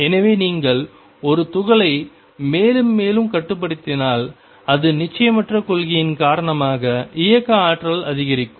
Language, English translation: Tamil, So, if you confine a particle more and more it is kinetic energy tends to increase because of the uncertainty principle